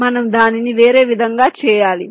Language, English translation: Telugu, we have to do it in a different way, right